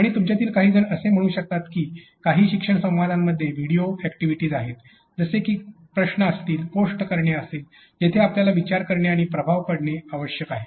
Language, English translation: Marathi, And some of you might have said that ok, the learning dialogues had a lot of in video activities such as questions or post coins where you need to think and effect